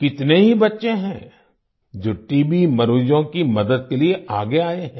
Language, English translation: Hindi, There are many children who have come forward to help TB patients